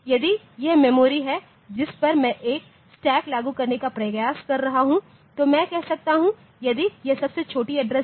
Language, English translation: Hindi, So, if this is the memory on to which I am trying to implement a stack so I can say, so if this is the lowest address